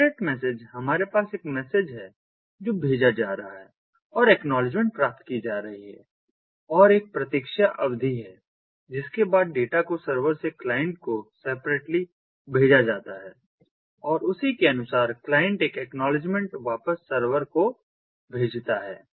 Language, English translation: Hindi, separate message: we have ah, a, ah, a message being sent and acknowledgement being received, and there is a wait period after which the, the data is going to be sent separately from the server to the client and, corresponding to that, the client is going to send an acknowledgement back to the server